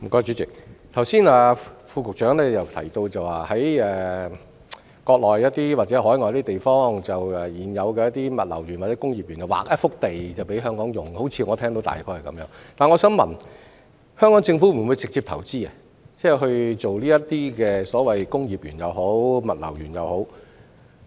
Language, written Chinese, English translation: Cantonese, 主席，我剛才好像聽到會在國內或海外的現有物流園或工業園區，劃出一幅土地供香港企業使用，但我想問香港政府會否直接投資興建這類工業園或物流園？, President I seem to have heard just now that land will be earmarked in the existing logistic parks or industrial parks in the Mainland or overseas for use by Hong Kong enterprises . But may I ask will the Hong Kong Government directly invest in developing this kind of industrial parks or logistic parks?